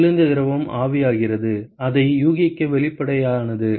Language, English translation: Tamil, Cold fluid evaporating, sort of obvious to guess that